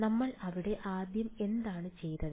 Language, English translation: Malayalam, What did we do there first